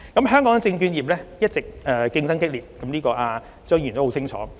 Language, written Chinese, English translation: Cantonese, 香港證券業一直競爭激烈，張議員很清楚這一點。, The competition of Hong Kongs securities industry has been intense . Mr CHEUNG should be well aware of this